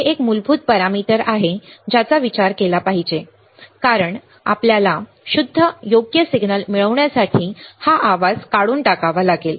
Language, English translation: Marathi, It is a fundamental parameter to be considered, because we have to remove this noise to obtain the pure signal right